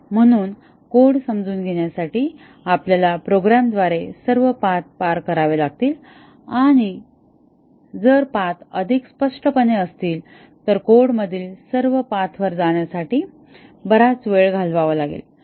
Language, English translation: Marathi, So, our understanding the code would require us to traverse all the paths through the program and if the paths are more obviously, will have to spend long time traversing all paths in the code